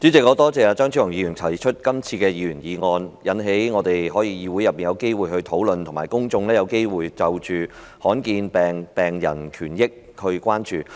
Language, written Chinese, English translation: Cantonese, 代理主席，我感謝張超雄議員提出這項議員議案，讓我們在議會內有機會討論，以及讓公眾有機會關注罕見疾病病人的權益。, Deputy President I wish to thank Dr Fernando CHEUNG for moving this Members motion . It has given Members an opportunity to hold discussion in the legislature while also offering a chance for people to show concern for the rights and interests of rare disease patients